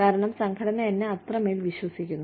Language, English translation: Malayalam, Because, the organization is trusting me, so much